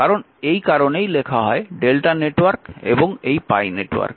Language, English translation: Bengali, So, that is why it is written delta network and this pi network